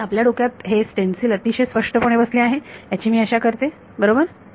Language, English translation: Marathi, So, hopefully everyone is got this stencil very clearly in their mind set right